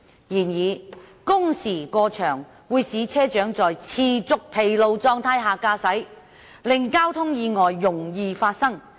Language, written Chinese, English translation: Cantonese, 然而，工時過長會使車長在持續疲勞狀態下駕駛，令交通意外容易發生。, However unduly long duty hours will result in bus captains driving in a persistent state of fatigue which makes traffic accidents prone to occur